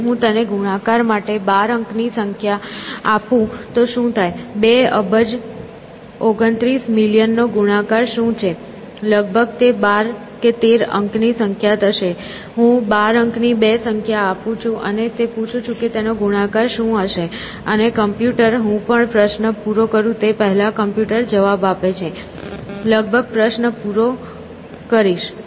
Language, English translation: Gujarati, What if I were to give it to 12 digit numbers to multiply; say, what is the product of 2 billion 29 million whatever, some 12, 13 digit number I say, I give 2 12 digit numbers and ask it what is the product of that, and the computer, poor thing, being a computer gives me the answer before I even finish the question, almost finish the question